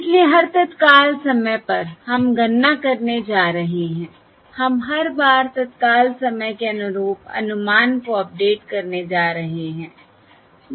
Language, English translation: Hindi, So at each time instant we are going to compute, we are going to update the estimate at each corresponding to each time instant